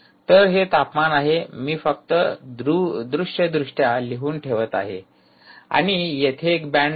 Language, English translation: Marathi, ok, so this is the temperature i am just visually putting it down and there is a band that you have associated